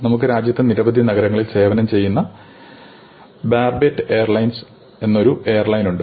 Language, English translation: Malayalam, So, we have an airline; Barbet airlines, which serves several cities in the country